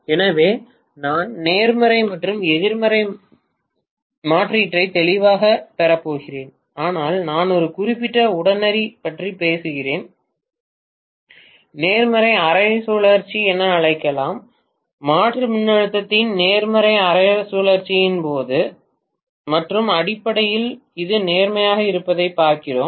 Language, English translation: Tamil, So I am going to have clearly the positive and negative alternating, but I am talking about one particular instant maybe let me call as the positive half cycle, during positive half cycle of the alternating voltage and essentially looking at this being positive